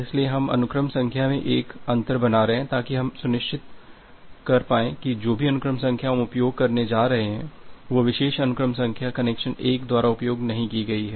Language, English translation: Hindi, So, we are we are making a gap in the sequence number, such that we become sure that whatever sequence number that we are going to use, that particular sequence number has not been used by connection 1